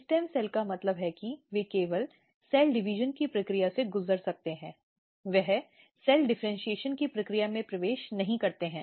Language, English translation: Hindi, Stem cells means they can only undergo the process of cell division, they do not enter in the process of cell differentiation